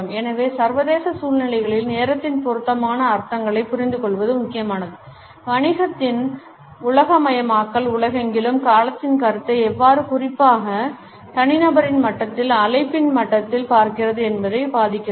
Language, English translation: Tamil, Understanding appropriate connotations of time is therefore important in international situations globalization of business is influencing how the concept of time is viewed around the world particularly at the level of the individual, at the level of the organization